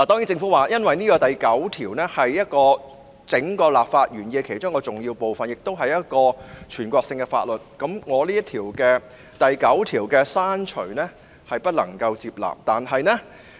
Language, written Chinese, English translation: Cantonese, 政府表示，第9條是立法原意中一個重要部分，亦屬於全國性法律，故此不能夠接納我刪除第9條的修正案。, The Government advised that as clause 9 is an essential part of the legislative intent and also part of the national law it could not accept my amendment to delete clause 9